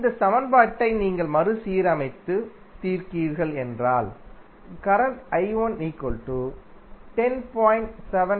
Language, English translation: Tamil, If you rearrange and solve this equation the current I 1 which you will get is 10